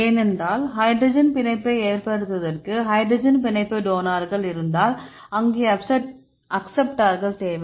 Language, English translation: Tamil, no right because if we have the hydrogen bond donor here, there we need the acceptors